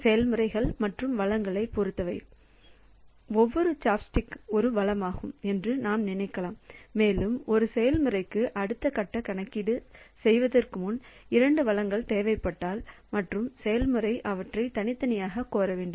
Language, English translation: Tamil, So, in terms of processes and resources so you can think that each chopstick is a resource okay and a process requires two resources to for doing the next phase of computation and the process has to request them separately so they cannot ask for the two resources simultaneously